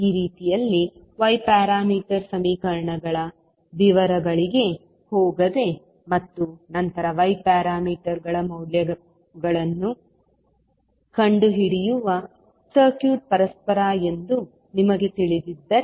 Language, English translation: Kannada, So in this way if you know that the circuit is reciprocal without going into the details of y parameter equations and then finding out the value of y parameters